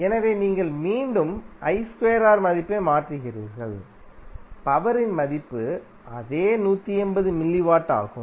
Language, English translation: Tamil, So I square into R you put the value again you will get the same value of power dissipated that is 180 milliwatt